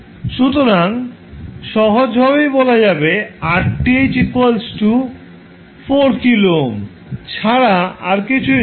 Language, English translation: Bengali, So, you can simply say Rth is nothing but 4 kilo ohm